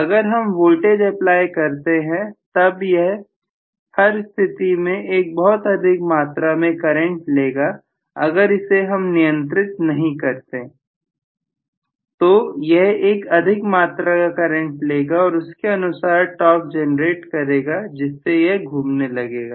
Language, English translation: Hindi, then I have applied a voltage it is going to carry a current in all probability and enormously large current unless I limit it so it is going to carry a large current and it is going to generate a torque because of the torque it is going to start moving